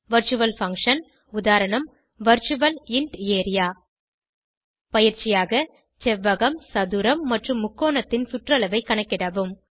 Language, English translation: Tamil, Virtual function example Virtual int area As an assignment Calculate the perimeter of rectangle, square and triangle